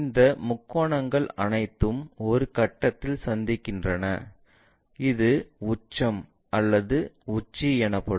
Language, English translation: Tamil, We have these triangles all these are meeting at 1 point, this one is apex or vertex